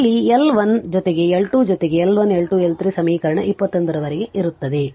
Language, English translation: Kannada, Where L is equal to L 1 plus L 2 plus L 3 up to L N equation 29 right